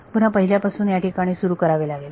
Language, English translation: Marathi, Let us start from scratch over here once again